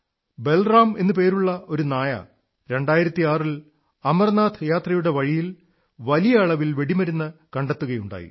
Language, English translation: Malayalam, One such canine named Balaram sniffed out ammunition on the route of the Amarnath Yatra